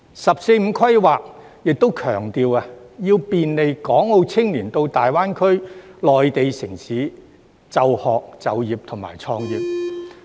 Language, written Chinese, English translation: Cantonese, "十四五"規劃亦強調，要便利港澳青年到大灣區的內地城市就學、就業和創業。, The 14th Five - Year Plan also emphasizes the need to enable the youth of Hong Kong and Macao to study work and start business in GBA Mainland cities